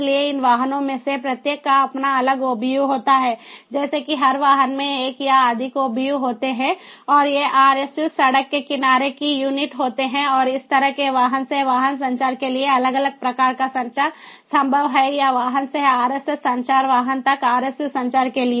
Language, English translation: Hindi, so each of these vehicles, they have their own different obu, like this: every vehicle has one or more obus and these rsus road road side units, and it is possible to have different types of communication: either vehicle to vehicle communication, like this, or from vehicle to rsu communication, vehicle to rsu communication